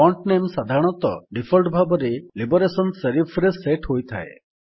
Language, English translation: Odia, The font name is usually set as Liberation Serif by default